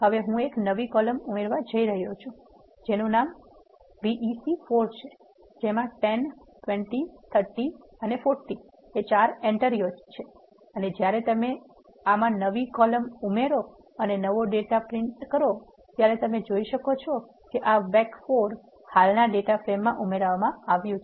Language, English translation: Gujarati, Now I am going to add a new column call vec 4 which contains the entries 10 20 30 40 and when you add a new column to this and print the new data frame, you can see that this vec 4 is added to the existing data frame